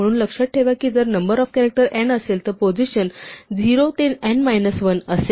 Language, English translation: Marathi, So, remember that if the number of characters is n then the positions are 0 to n minus 1